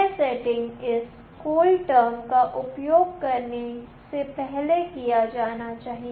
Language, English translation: Hindi, This setting must be done prior to using this CoolTerm